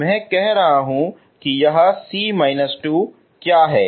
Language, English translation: Hindi, I am saying what this C minus 2 is